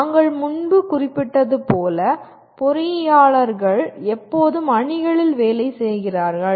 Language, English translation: Tamil, As we mentioned earlier, engineers always work in teams